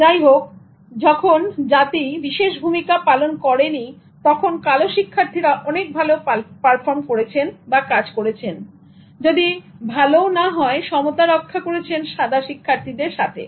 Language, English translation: Bengali, However, when race was not emphasized, black students perform better, if not better, equivalently, equally with the white students